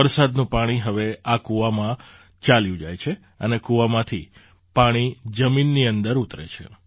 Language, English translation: Gujarati, Rain water now flows into these wells, and from the wells, the water enters the ground